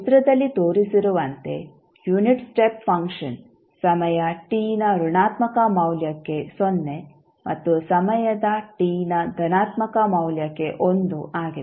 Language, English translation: Kannada, Unit step function is 0 for negative value of time t and 1 for positive value of time t as shown in the figure